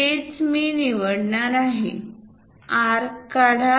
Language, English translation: Marathi, This is the one what I am going to pick; draw an arc